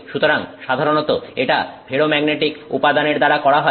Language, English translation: Bengali, So, this is generally been done with ferromagnetic material